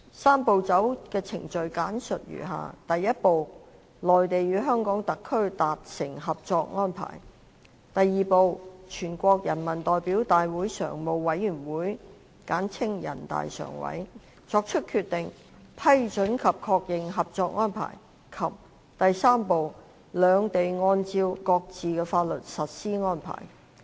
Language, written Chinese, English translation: Cantonese, "三步走"的程序簡述如下：第一步，內地與香港特區達成合作安排；第二步，全國人民代表大會常務委員會作出決定，批准及確認合作安排；及第三步，兩地按照各自的法律實施安排。, The Three - step Process is summarized as follows step one the Mainland and HKSAR are to reach a cooperation arrangement; step two the Standing Committee of the National Peoples Congress NPCSC makes a decision approving and endorsing the cooperation arrangement; and step three both sides implement the arrangement pursuant to their respective laws